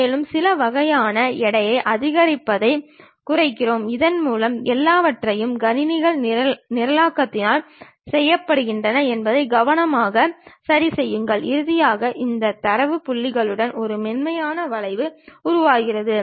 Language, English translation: Tamil, And, we minimize maximize certain kind of weights so that we carefully adjust that everything does by computer by programs and finally, it construct a smooth curve along this data points